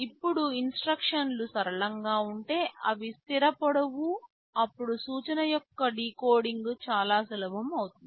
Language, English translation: Telugu, Now if the instructions are simple they are fixed length, then decoding of the instruction becomes very easy